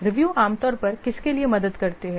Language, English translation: Hindi, Review usually helps for what